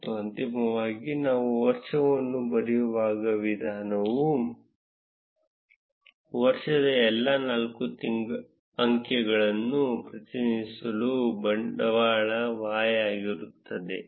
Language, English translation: Kannada, And finally, the way we would write the year would be capital Y which represents all the four digits of the year